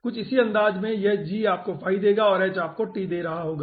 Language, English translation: Hindi, okay, in a similar fashion, this g will be giving you phi and h will be giving you t